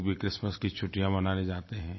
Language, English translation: Hindi, People also travel to celebrate Christmas vacations